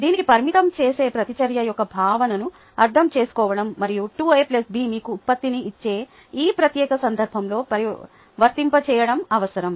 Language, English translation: Telugu, ok, this would require understanding the concept of a limiting reactant and then applying it to this particular case where two a plus b giving you the product